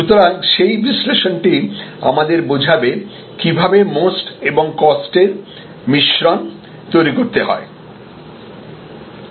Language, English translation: Bengali, So, that analysis will lead to how we should formulate the mix of MOST and COST